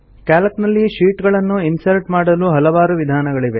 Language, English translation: Kannada, There are several ways to insert a new sheet in Calc